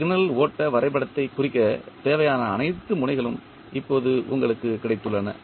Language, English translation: Tamil, So, now you have got all the nodes which are required to represent the signal flow graph